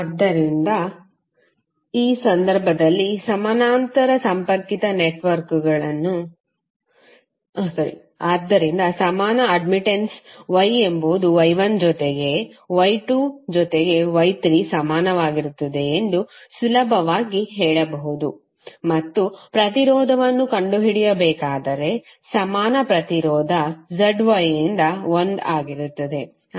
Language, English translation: Kannada, So you can easily say that the equivalent admittance Y is equal to Y1 plus Y2 plus Y3 and if you have to find out the impedance then the equivalent impedance Z would be 1 by Y